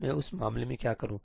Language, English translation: Hindi, What do I do in that case